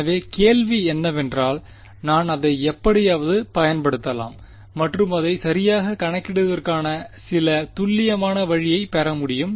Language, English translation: Tamil, So, the question is can I still use that somehow and get some accurate way of calculating it ok